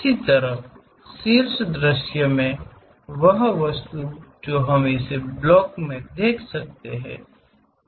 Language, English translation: Hindi, Similarly, in top view the object what we can see as a block, is this block